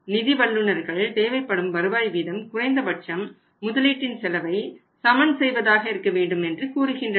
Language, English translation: Tamil, Financial experts say that your required rate of return should be, minimum it should be equal to the cost of a capital